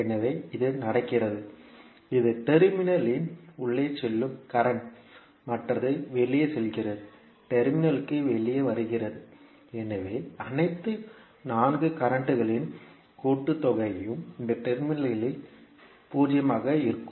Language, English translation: Tamil, So this is going, this is the current going inside the node, others are going outside, coming outside of the node so the summation of all 4 currents will be 0 at this node